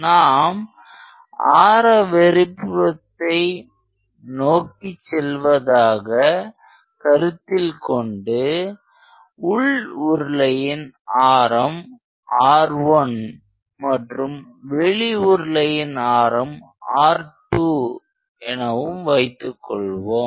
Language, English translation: Tamil, As you go radially outwards, let us say the inner cylinder has a radius of R 1 and the outer has a radius of R 2